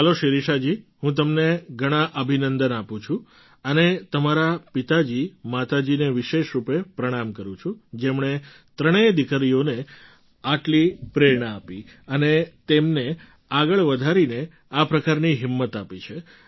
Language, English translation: Gujarati, Great… Shirisha ji I congratulate you a lot and convey my special pranam to your father mother who motivated their three daughters so much and promoted them greatly and thus encouraged them